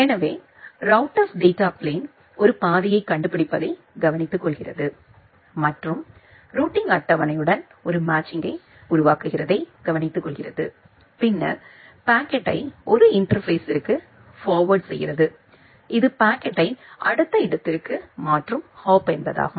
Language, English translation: Tamil, So, the control plane of the router it takes care of finding a path and the data plane of the router it takes care of making a match with the routing table and then a forward the packet to a interface which will transfer the packet to the next hop